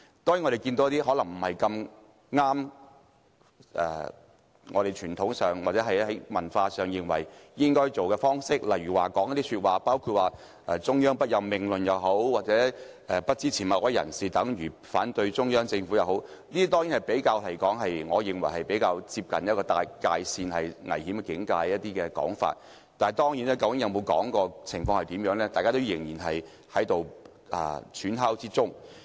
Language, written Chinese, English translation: Cantonese, 另外，亦有一些可能不太符合傳統、文化的方式，例如中央不任命論，或不支持某位候選人等於反對中央政府的說法等，我認為這些是較為接近危險界線的說法，但當事人有否說過或具體情況如何，大家仍在揣測或推敲之中。, On the other hand some practices are more unconventional or unorthodox such as the saying that the Central Authorities have the power not to appoint the Chief Executive - elect or that not supporting a particular candidate means acting against the Central Government etc . In my view such comments border on dangerous . But of course it is still a matter of speculation or guesswork as to whether the persons concerned have actually made those comments or under what specific circumstances such comments have been made